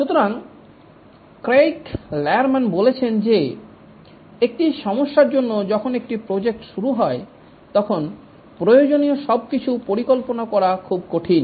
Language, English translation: Bengali, Craig Lerman says that when a project starts, it's very difficult to visualize all that is required